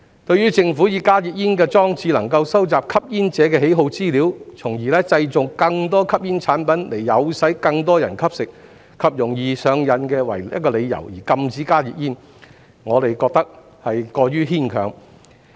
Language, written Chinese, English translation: Cantonese, 對於政府以加熱煙裝置能夠收集吸煙者的喜好資料，從而製造更多吸煙產品以誘使更多人吸食，以及容易令人上癮為由，而禁止加熱煙，我們認為過於牽強。, We find it too farfetched for the Government to ban HTPs on the grounds that HTP devices can collect information on the preferences of smokers thereby facilitating the production of more smoking products to induce more people to smoke and that they are highly addictive